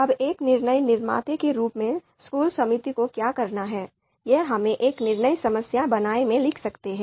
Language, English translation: Hindi, Now what the school school committee as a decision maker is required to do, so that is we can write in a decision problem statement